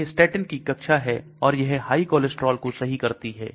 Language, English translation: Hindi, This is a class of statin should treat high cholesterol